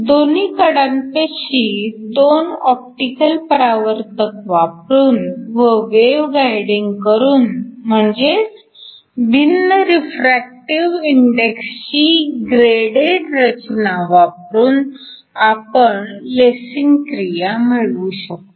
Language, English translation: Marathi, By using both optical reflectors at the edges and also by wave guiding so by using a graded structure with different refractive indexes you can basically have lasing actions